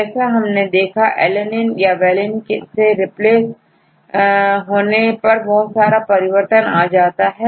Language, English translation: Hindi, For example, if you replace alanine by valine